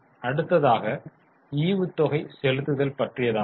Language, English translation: Tamil, Next is dividend payout